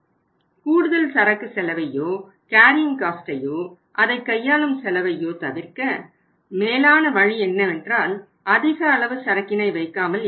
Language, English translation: Tamil, And to avoid the additional inventory cost or the carrying cost as well as the handling cost it is better not to keep the high amount of inventory